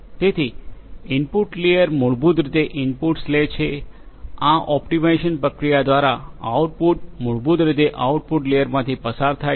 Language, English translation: Gujarati, So, input layer basically takes the inputs, the output through this you know this optimization process is basically passed from the output layer